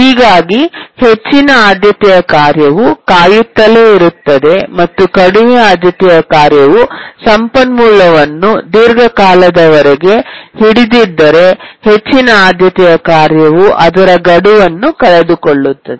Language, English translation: Kannada, And if the low priority task holds the resource for a long time, the high priority task is of course going to miss its deadline